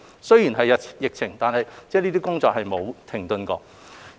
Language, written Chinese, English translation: Cantonese, 雖然有疫情，但這些工作並沒有停頓。, Regardless of the pandemic these efforts have never come to a halt